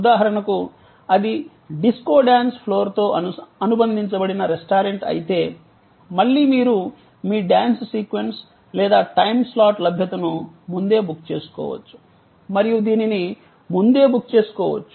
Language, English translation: Telugu, For example, if it is a restaurant, which is associated with a disco dance floor, then again you know you may actually pre book your availability of your dance sequence or slot, time slot and this can be pre booked